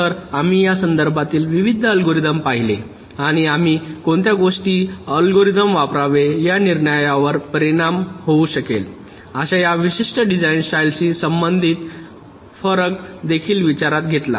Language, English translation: Marathi, so we looked at various algorithms in this regards and we also considered this specific design style, related radiations that can affect our decision as to which algorithm should we should be used